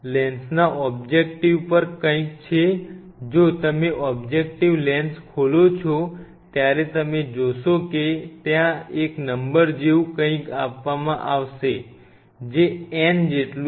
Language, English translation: Gujarati, There is something on the lens objective lens if you open the objective lens you will see there is a number which will be given like n is equal to something